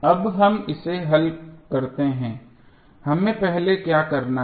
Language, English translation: Hindi, Now, let us solve it, what we have to do first